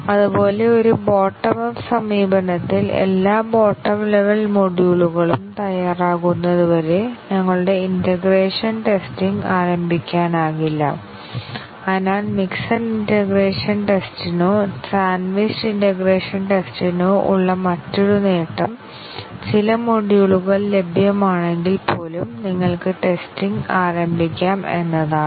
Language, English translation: Malayalam, And similarly, in a bottom up approach, our integration testing cannot start until all the bottom level modules are ready, so that is another advantage for mixed integration or sandwiched integration testing that even if some of the modules are available you can start testing